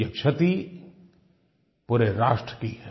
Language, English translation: Hindi, In fact, it is a national loss